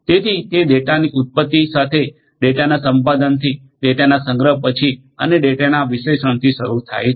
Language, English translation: Gujarati, So, it starts with generation of the data, acquisition of the data, there after storage of the data and finally, the analysis of the data